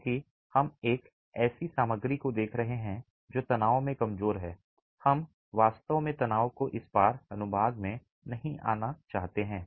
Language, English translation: Hindi, Because we are looking at a material which is weak in tension, we really don't want tension to come into this cross section